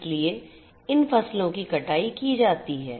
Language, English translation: Hindi, So, these crops are harvested so you have harvesting